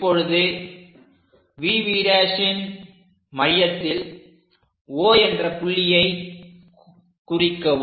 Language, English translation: Tamil, Now we have to mark O at midpoint of VV prime